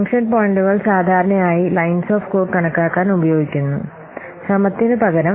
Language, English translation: Malayalam, Function points are normally used to estimate the lines of code rather than effort